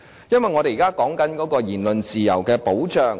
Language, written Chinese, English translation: Cantonese, 因為我們現時談論言論及辯論自由的保障。, We are now discussing the protection of freedom of speech and debate